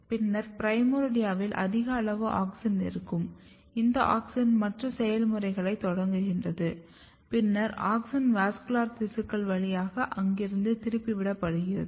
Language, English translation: Tamil, And then in the primordia you are going to have a very high amount of auxin and this auxin initiate the program and then auxin has been diverted from there through the vascular tissues